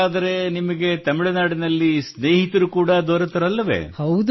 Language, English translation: Kannada, So now you must have made friends in Tamil Nadu too